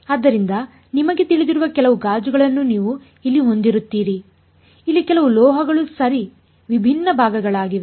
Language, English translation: Kannada, So, you will have some you know glass over here, some metal over here right different different components are there